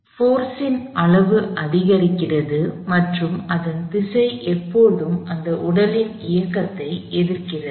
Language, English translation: Tamil, The magnitude the force increases and it is direction is always opposing the motion of this body